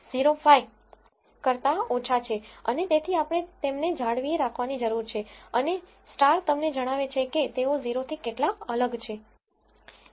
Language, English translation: Gujarati, 05 and so we need to retain them and the stars tell you how significantly different are they from 0